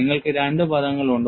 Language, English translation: Malayalam, And it has two main terms